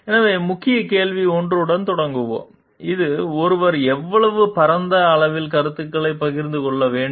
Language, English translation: Tamil, So, we will begin with a key question 1 so, which is how broadly one should share ideas